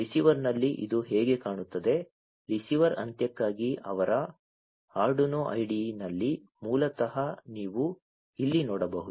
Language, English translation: Kannada, This is how it looks like at the receiver, in their Arduino IDE for the receiver end, basically, as you can see over here